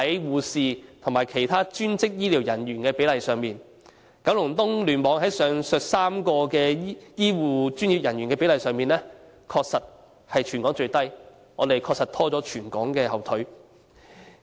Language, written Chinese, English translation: Cantonese, 護士和其他專職醫療人員的比例亦出現同樣的情況，在九龍東聯網內，上述3類醫護專業人員的比例的確是全港最低，確實拖了全港的後腿。, There are similar situations in the ratios of nurses and other allied health staff . In KEC the ratios of the three types of healthcare professionals mentioned just now were in fact the lowest in Hong Kong thus really dragging down the whole territory